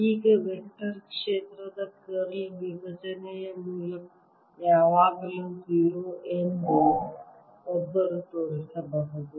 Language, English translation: Kannada, no one can show that divergence of curl of a vector is always zero